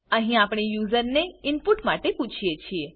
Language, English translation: Gujarati, Here we are asking the user for input